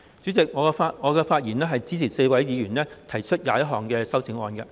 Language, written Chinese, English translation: Cantonese, 主席，我發言是支持4位議員提出的21項修正案。, Chairman with these remarks I support the 21 amendments proposed by four Members